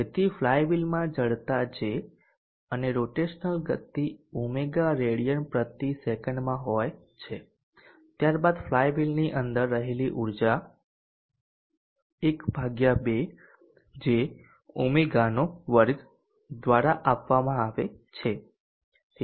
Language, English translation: Gujarati, So the flywheel is having an inertia J and rotational speed Omega in radians per second then the energy contained within the flywheel is given by ½ J